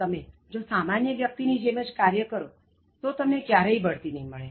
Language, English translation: Gujarati, If you perform like any other average person, you will never be promoted